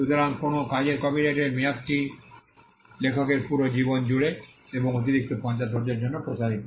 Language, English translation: Bengali, so, the copyright term of a work extended throughout the life of the author and for an additional 50 years